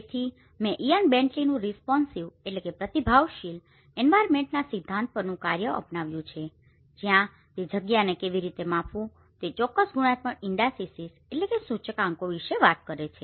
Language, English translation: Gujarati, So I have adopted Ian Bentley’s work on the theory of responsive environments where he talks about certain qualitative indices how to measure a space